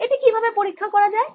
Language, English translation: Bengali, how do we check this